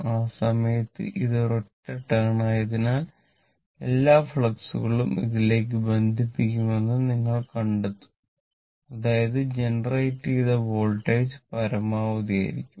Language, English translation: Malayalam, At that time, this if you if you imagine, you will find it is a single turn, you will find all the flux will link to this; that means, voltage generated will be maximum, right